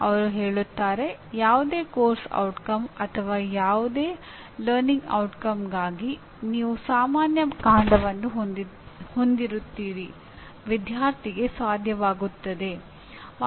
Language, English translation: Kannada, They say any course outcome or any learning outcome you will have a common stem: “Student should be able to”